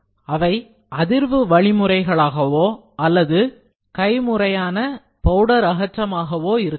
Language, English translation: Tamil, These methods can be all different, they can be vibratory methods or the manual powder removal